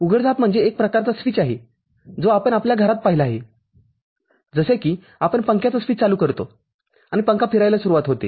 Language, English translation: Marathi, Switching is the kind of switch that we have seen in our household like we switch on the fan – fan starts rotating